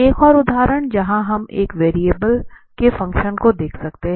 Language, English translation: Hindi, Another example where we can see the function of one variable